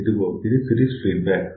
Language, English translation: Telugu, So, this is series feedback